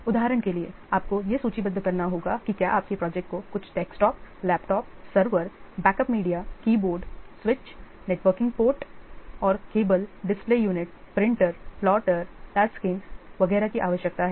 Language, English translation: Hindi, For example, we have to list if your project requires some desktops, laptops, servers, backup media, keyboards, which is different networking ports and cables, display units, printers, plotters, touch screens, etc